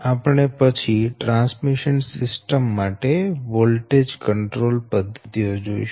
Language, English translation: Gujarati, now we will come for that method of voltage control, right